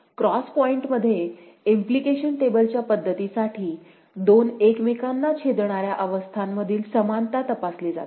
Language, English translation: Marathi, For implication table method in the cross point, the equivalence between two intersecting states are tested